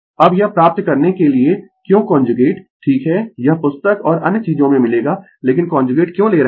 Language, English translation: Hindi, Now, to get this why the conjugate right this this we will find in book and other thing, but why is the conjugate we take